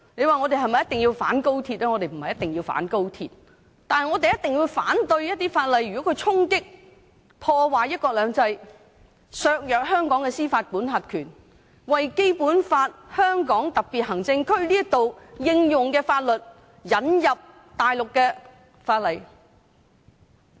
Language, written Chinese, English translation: Cantonese, 我們並非一定要反對高鐵，但我們一定要反對一些會衝擊及破壞"一國兩制"、削弱香港司法管轄權的法例，反對在香港特別行政區引入大陸法例。, We are not bent on opposing XRL but we must oppose legislation that impacts on and undermines one country two systems or compromises Hong Kongs jurisdiction and we oppose the introduction of Mainland laws into the SAR